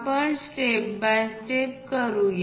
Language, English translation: Marathi, Let us do that step by step